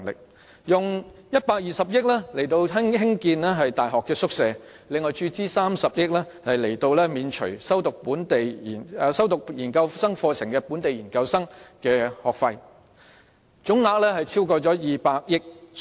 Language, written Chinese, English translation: Cantonese, 此外，政府亦撥出120億元興建大學宿舍，並注資30億元免除修讀本地研究生課程的學生的學費，總額超過200億元。, Besides the Government will allocate 12 billion to the construction of university hostels and inject 3 billion to waive the tuition fees for students of local post - graduate programmes . These provisions will add up to be more than 20 billion